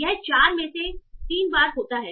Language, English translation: Hindi, So it occurred three times out of four